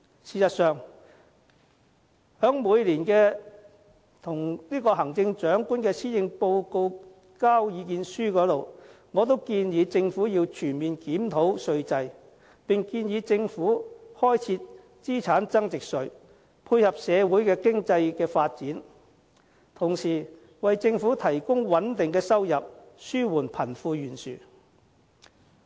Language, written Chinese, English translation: Cantonese, 事實上，在每年交給行政長官的施政報告意見書裏，我都建議政府要全面檢討稅制，並建議政府開設資產增值稅，配合社會經濟的發展，同時為政府提供穩定的收入，紓緩貧富懸殊。, In fact in the proposal I submit to the Chief Executive on the Policy Address every year I urge the Government to comprehensively review the tax regime and propose the introduction of a capital gains tax to tie in with the social and economic development while providing a stable income for the Government and relieve the wealth gap